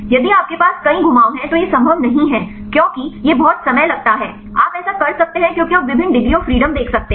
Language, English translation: Hindi, If you have many rotations then it is not possible because it is a very time consuming you can do that because you can see the various degrees of freedom